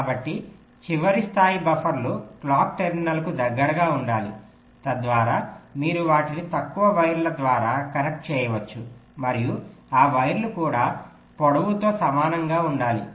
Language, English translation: Telugu, so the last level of buffers should be close to the clock terminals so that you can connect them by shorter wires, and those wires also should also be approximately equal in length